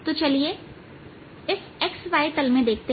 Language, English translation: Hindi, so lets lets look in this x y plane